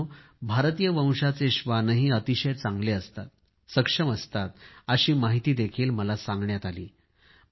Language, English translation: Marathi, Friends, I have also been told that Indian breed dogs are also very good and capable